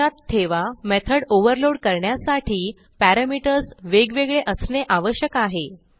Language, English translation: Marathi, So remember that to overload method the parameters must differ